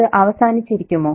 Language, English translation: Malayalam, Could it be over